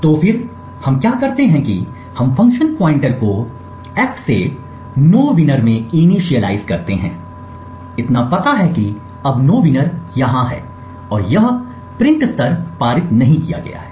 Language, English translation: Hindi, So then what we do is we initialize the function pointer in f to nowinner so know that nowinner is here and it simply prints level has not been passed